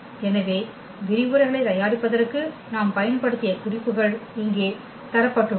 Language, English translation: Tamil, So, here these are the references here we have used for preparing the lectures